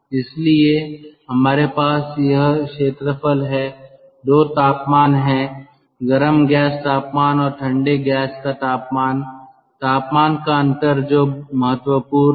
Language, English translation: Hindi, then we have got these two temperature, the hot gas temperature and cold gas temperature, the temperature difference